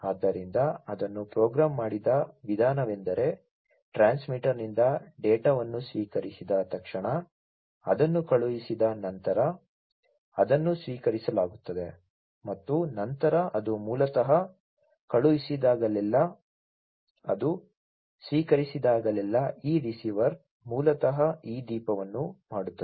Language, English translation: Kannada, So, the way it has been programmed is that the immediately after receiving the data from the transmitter it is once it is sent it is received and then it is basically, you know, whenever it is sent whenever it is received this receiver, basically will make this lamp the led lamp glow right and as you can see that it is glowing